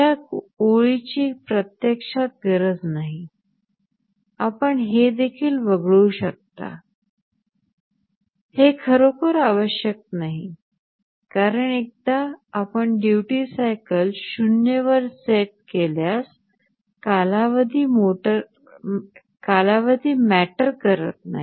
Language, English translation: Marathi, Now, this line is actually not needed this line you can also omit this is not really required because, once you set the duty cycle to 0 the period does not matter ok